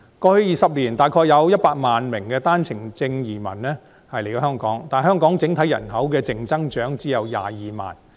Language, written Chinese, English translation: Cantonese, 過去20年，大約有100萬名單程證移民來香港，但香港整體人口的淨增長只有22萬。, Over the past 20 years around 1 million OWP entrants have come to settle in Hong Kong . But Hong Kongs overall population has recorded a net growth of only 220 000 people